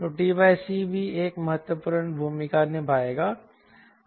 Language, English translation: Hindi, so t by c also will play an important role